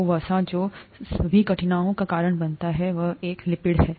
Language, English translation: Hindi, So fat causes whatever difficulties, and all that is a lipid